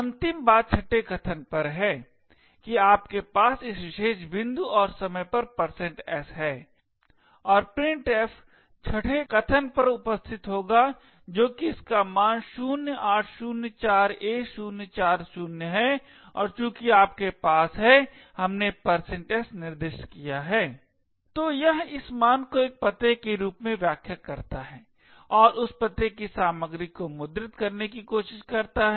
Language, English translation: Hindi, The final thing is at the sixth argument you have a %s at this particular point and time printf would look at the sixth argument present that is this value 0804a040 and since you have we specified a %s, so it interprets this value as an address and tries to print the contents of that address